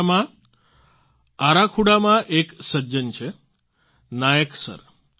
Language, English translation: Gujarati, There is a gentleman in Arakhuda in Odisha Nayak Sir